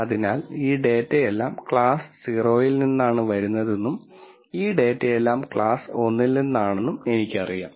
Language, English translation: Malayalam, So, I already know that all of this data is coming from class 0 and all of this data is coming from class 1